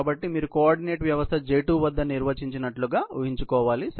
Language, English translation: Telugu, So, you will have to assume the coordinate system as defined at J2 ok